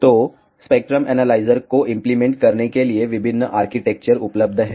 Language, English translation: Hindi, So, there are various architectures available to implement spectrum analyzers